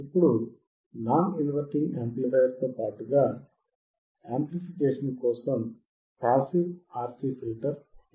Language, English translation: Telugu, Now, let us see if I use, a non inverting amplifier for the amplification along with the passive RC filter